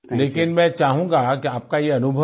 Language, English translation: Hindi, But I want this experience of yours